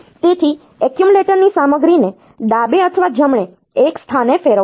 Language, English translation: Gujarati, So, it will rotate the content of accumulator one position to the left or right